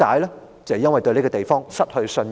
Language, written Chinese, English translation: Cantonese, 就是因為對這個地方失去信任。, Because she has lost confidence in this place